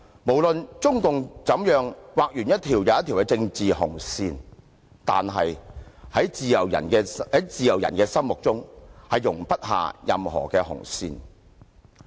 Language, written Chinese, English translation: Cantonese, 無論中共怎樣劃完一條又一條的政治紅線，但是，在自由人的心中，是容不下任何紅線的。, No matter how CPC draws one political redline after another in the hearts of free people no redline is tolerated